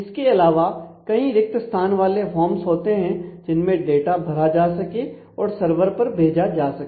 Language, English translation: Hindi, And in addition there are forms which can be used to enter data and send them back to the web server